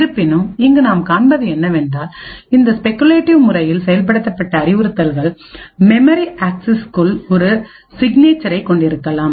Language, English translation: Tamil, However, what is seen is that these speculatively executed instructions may have a signature inside the memory axis